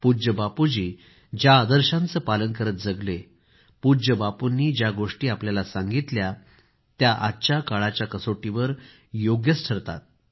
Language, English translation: Marathi, The ideals which Bapu practiced in his life, things that he imparted are relevant even today